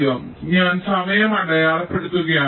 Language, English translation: Malayalam, so i am just marking the time